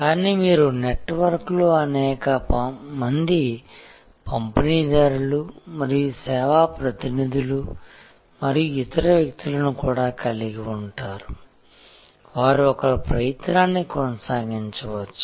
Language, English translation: Telugu, But, you also have number of distributors and service representatives and other people in the network who will sustain each other's effort